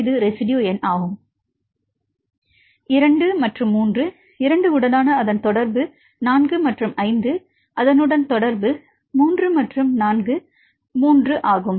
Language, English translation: Tamil, One its contact with 2 and 3, 2 is contact 3 and 4 right 3 with 4 and 5